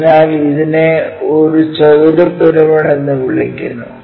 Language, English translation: Malayalam, So, it is called square pyramid